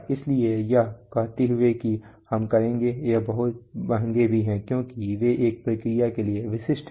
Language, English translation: Hindi, So having said that we will, they are also very expensive because they are specific to a process